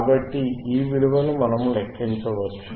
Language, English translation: Telugu, So, thisese values we can calculate, and